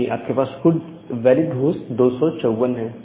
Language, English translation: Hindi, So, you have 254 number of valid hosts